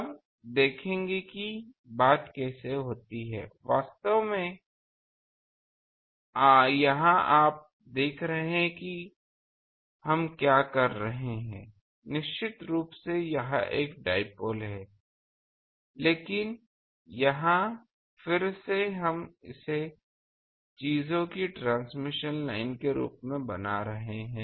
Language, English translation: Hindi, Now, will see how the thing happens; actually here you see what we are doing that definitely this is a dipole, but here again we are making it as a transmission line of things